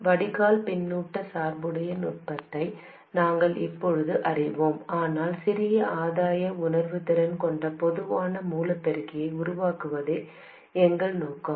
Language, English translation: Tamil, We now know the technique of drain feedback biasing, but our aim is to realize a common source amplifier with a smaller gain sensitivity